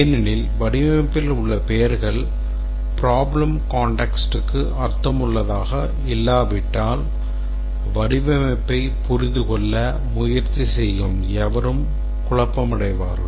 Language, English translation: Tamil, Because unless the names in the design are meaningful in the problem context and also they have been used consistently, anybody trying to understand the design will get confused